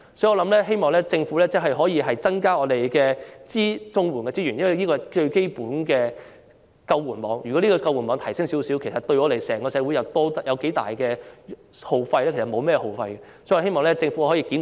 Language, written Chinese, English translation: Cantonese, 因此，我希望政府可以增加綜援的資源，因為這是最基本的救援網，而提升這個救援網對整個社會不會有很大的耗費，所以我希望政府可以檢討政策，改善綜援金額。, Hence I hope the Government will increase the resources for CSSA as this is the fundamental safety net and its enhancement will not cost much to society as a whole . I hope the Government will review the policy and improve the CSSA rates